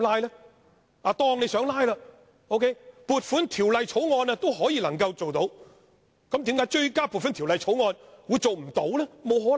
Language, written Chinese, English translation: Cantonese, 假設他想"拉布"，撥款條例草案還可以做到，那為何追加撥款條例草案會做不到呢？, If a colleague wishing to filibuster on the Appropriation Bill may do so why is a filibuster on the Supplementary Appropriation Bill not allowed?